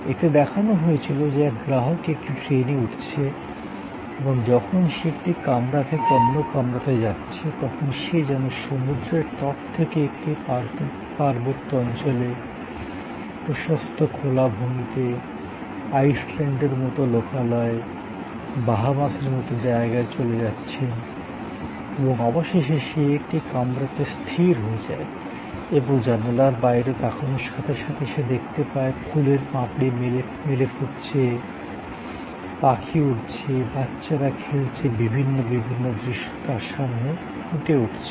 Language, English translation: Bengali, It showed that a customer gets into a train and as he moves through the vestibule from one compartment to another compartment, he is moving from seashore to a mountain slope, to wide open meadows, to a locale like a Iceland, to a location like Bahamas and finally, he settles in one of the compartments and as he looks out of the window, he sees flowers opening, birds flying, children playing, different scenarios unfolding in front of him